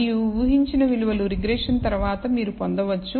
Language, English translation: Telugu, And the predicted values you obtain after the regression remember